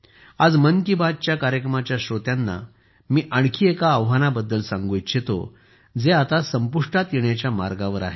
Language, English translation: Marathi, Today, I would like to tell the listeners of 'Mann Ki Baat' about another challenge, which is now about to end